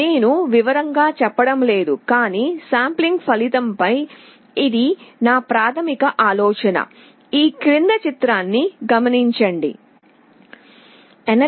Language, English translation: Telugu, I am not going into detail, but this is the basic idea on the result of sampling